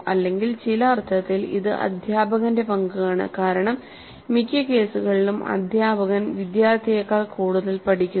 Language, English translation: Malayalam, So in some sense it is the role of the teacher and as we all know in most of the cases the teacher learns more than the student